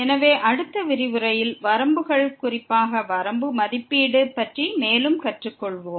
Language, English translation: Tamil, So, in the next lecture, we will learn more on the Limits, the evaluation of the limit in particular